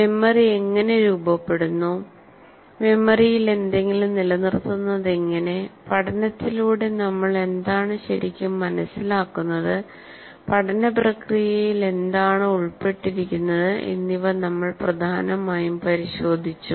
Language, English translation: Malayalam, And we said we mainly looked at in how the memory is formed, how we retain something in the memory, and what do we really understand by learning, what is involved in the process of learning